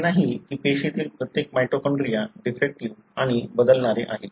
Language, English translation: Marathi, It is not that every mitochondria in a cell is defective and it varies